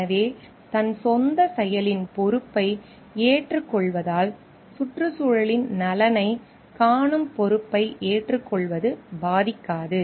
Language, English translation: Tamil, So, taking the responsibility of ones own action, taking the responsibility to see the interest of the environment is not harmed